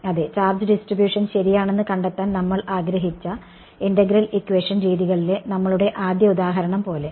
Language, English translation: Malayalam, Yes, like our very initial example in the integral equation methods where we wanted to find out the charge distribution right